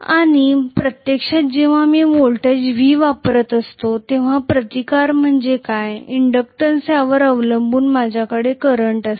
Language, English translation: Marathi, And when actually I am applying a voltage V, probably I will have a current i depending upon what is the resistance and what is the inductance